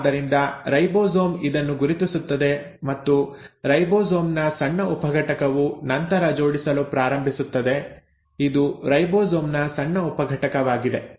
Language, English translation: Kannada, So the ribosome will recognise this and the small subunit of ribosome will then start assembling, this is the small subunit of ribosome